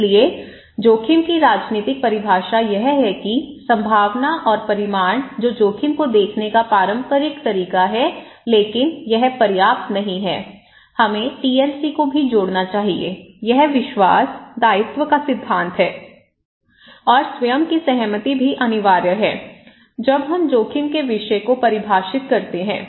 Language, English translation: Hindi, So, polythetic definition of risk is that probability and magnitude that is the traditional way of looking at risk but that is not enough, we should add the TLC okay, this is the principle of trust, liability and consent are themselves also, the subject when we define that what is risk